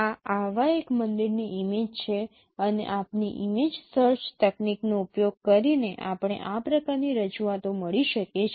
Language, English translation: Gujarati, This is image of one such temple and using our image search technique we could get this kind of representations